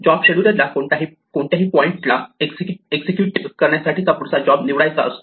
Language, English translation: Marathi, Now, the job scheduler has to choose the next job to execute at any point